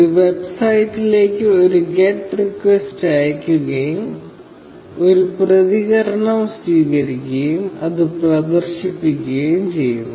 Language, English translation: Malayalam, It sends a get request to the website, receives a response, and displays it